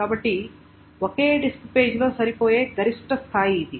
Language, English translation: Telugu, So that is the maximum that it can fit in a single disk